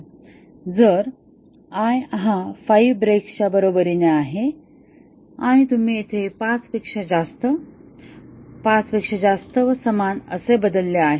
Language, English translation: Marathi, If i equal to 5 breaks and you changed here equal to greater than 5, greater than equal to 5